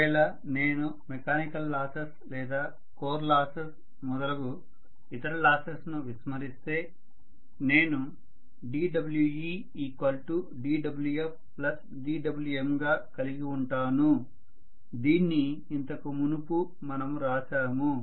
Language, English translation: Telugu, If I just neglect all the other losses in mechanical form or core losses and so on, I should have d W e equal to d W f we wrote this earlier plus d W M